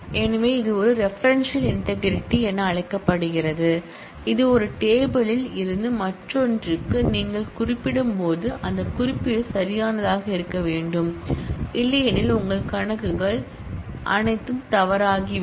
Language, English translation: Tamil, So, this is known as a referential integrity that is once you refer from one table to the other that reference must also be a valid one; otherwise, all your computations will go wrong